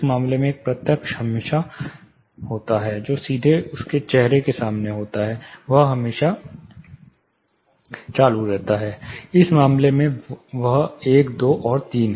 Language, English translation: Hindi, Say in this case one direct the first is always you know which is straight in front of his face, this is always on, in this case 1 2 and 3